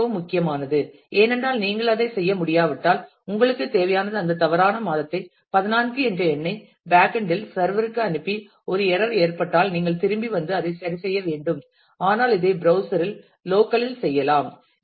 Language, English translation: Tamil, And it is it is very important because if you could not do that then all you required is you would have send that faulty month numbered 14 to the to the backend server and got an error and you would have come back and then have to correct it, but you can do this locally at the browser itself